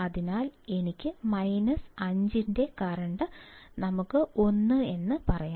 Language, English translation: Malayalam, So, I will have 0, minus 5; for minus 5 my current is let us say 1